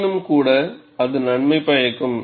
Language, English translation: Tamil, Nevertheless, it is beneficial